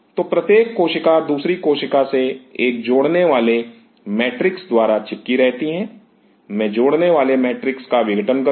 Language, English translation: Hindi, So, each cell is adhering to the other cell with a cementing matrix I dissolve the cementing matrix